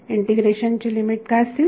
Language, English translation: Marathi, What will be the limits of integration